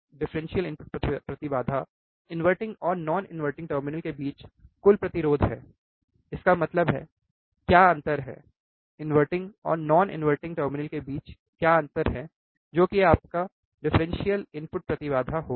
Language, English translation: Hindi, Differential input impedance is total resistance between inverting and non inverting terminal; that means, what is the difference; what is the difference between inverting and non inverting terminal that will be your differential input impedance